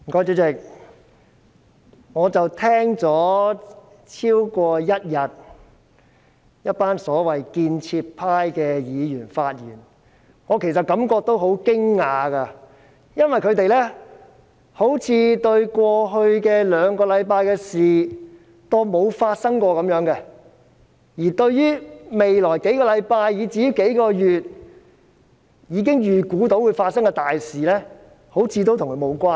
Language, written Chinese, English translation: Cantonese, 主席，我聽了一群所謂建設派議員發言超過一天，其實真的感到很驚訝，因為他們好像把過去兩星期的事情當過沒有發生過般，而一些預計將於未來數星期至數個月發生的大事，也好像與他們無關似的。, President having listened to the speeches of a bunch of Members of the so - called constructive camp for more than a day I really feel surprised because they seem to treat what happened in the past two weeks as if it has not happened at all and the big events expected to take place in the coming few weeks or months seem to have nothing to do with them either